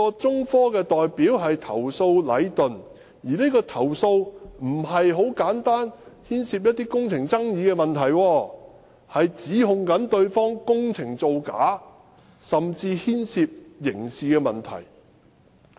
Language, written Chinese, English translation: Cantonese, 中科的代表投訴的是禮頓，而且有關的投訴不是牽涉簡單的工程爭議問題，而是指控對方工程造假，甚至牽涉刑事問題。, The representative of China Technology was complaining Leighton . The complaint is not about simple construction disputes but about allegations concerning non - compliant works or even criminal liabilities of Leighton